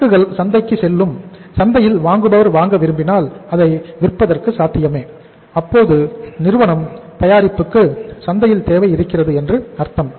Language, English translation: Tamil, Inventory will go to the market, will be possible to be sold in the market if the buyer wants to buy it means there is a demand for the company’s product in the market